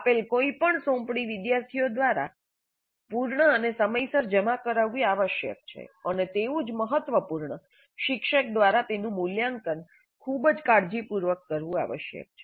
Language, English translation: Gujarati, Any assignment given must be completed by the students and submitted in time and equally important it must be evaluated by the teacher very carefully